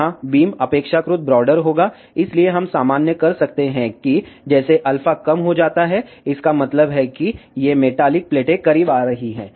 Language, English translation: Hindi, Here beam will be relatively broader, so we can generalize that as alpha decreases that means, these metallic plates are coming closer